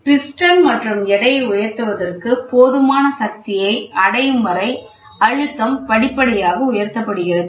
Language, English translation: Tamil, The pressure is applied gradually until enough force is attained to lift the piston and the weight combination